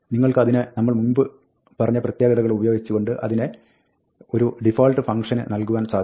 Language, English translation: Malayalam, Then, if you want, you can combine it with the earlier feature, which is, you can give it a default function